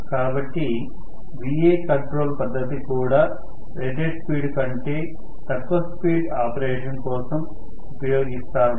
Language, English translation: Telugu, So, Va control is also used only for below rated speed operation